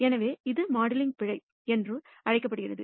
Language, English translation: Tamil, Such errors are called measurement errors